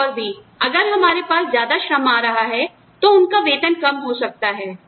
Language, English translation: Hindi, Anything more, if we have more labor coming in, their wages are likely to come down